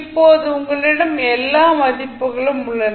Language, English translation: Tamil, Now, you have all the values in the hand